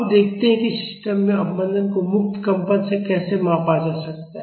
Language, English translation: Hindi, Now, let us see how damping in the system can be measured from it is free vibrations